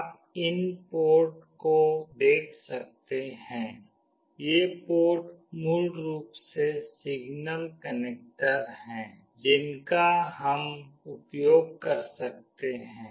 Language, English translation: Hindi, You can see these ports; these ports are basically signal connector that we can use